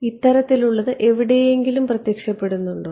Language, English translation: Malayalam, Does this sort of appear somewhere